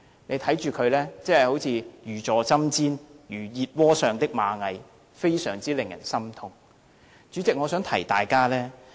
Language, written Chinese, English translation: Cantonese, 大家看到他真的如坐針氈，有如熱鍋上的螞蟻，令人非常心痛。, Our heart throbs with pain when we see that he is really like a cat on hot bricks who can hardly feel at ease